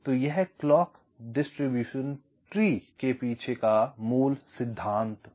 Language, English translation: Hindi, so this is the basic principle behind clock distribution tree